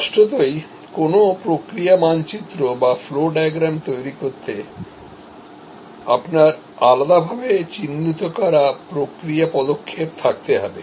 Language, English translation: Bengali, Obviously, to create a process map or a flow diagram, you have to have discretely identifiable process steps